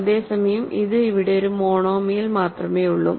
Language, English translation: Malayalam, Whereas, this is the one, there is only one monomial here